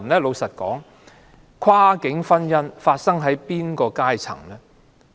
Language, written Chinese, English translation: Cantonese, 老實說，跨境婚姻發生在哪個階層呢？, Which walk of life do cross - boundary marriages take place?